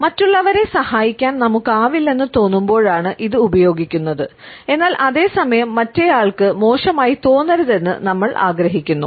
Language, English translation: Malayalam, This is used when we feel that we are not in a position to help others, but at the same time, we want that the other person should not feel very bad